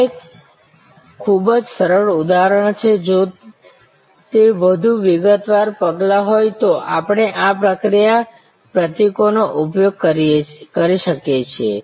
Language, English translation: Gujarati, This is a very simple example, if it is a much more detail steps we can use this process symbols